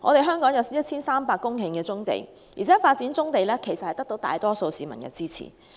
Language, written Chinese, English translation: Cantonese, 香港有 1,300 公頃棕地，發展棕地得到大多數市民的支持。, There are 1 300 hectares of brownfield in Hong Kong and the development of brownfield sites is supported by the majority of the public